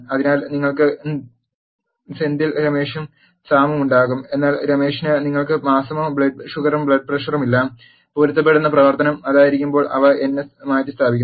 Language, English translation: Malayalam, So, you will have Senthil Ramesh and Sam, but for Ramesh you do not have month, blood sugar and blood pressure values, which are replace by n s when the matching operation is that